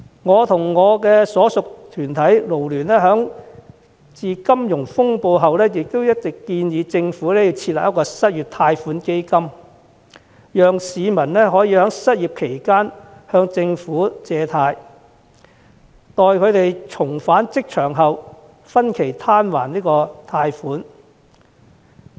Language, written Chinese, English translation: Cantonese, 我和我所屬的港九勞工社團聯會，在金融風暴後一直建議政府設立失業貸款基金，讓市民可以在失業期間向政府借貸，待重返職場後分期攤還貸款。, Ever since the Asian financial crisis I and the Federation of Hong Kong and Kowloon Labour Unions to which I belong have been suggesting the Government to establish an unemployment loan fund to provide loans to the unemployed and allow them to repay the loan in instalments after they have returned to work